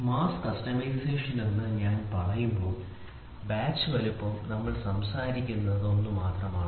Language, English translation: Malayalam, So, when I say mass customization the batch size what we are talking about is only one